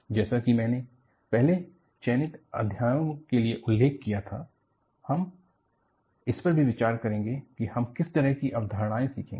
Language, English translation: Hindi, It is like, what I mentioned earlier for selected chapters, we will also have a look at, what kind of concepts that, we would learn